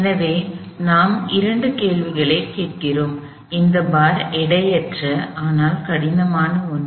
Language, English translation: Tamil, So, we ask ourselves two questions, one, this bar is a weightless, but rigid bar